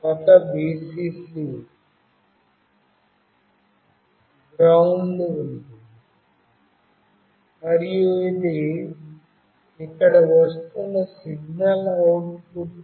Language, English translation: Telugu, There is a Vcc, GND and this is the signal output that is coming here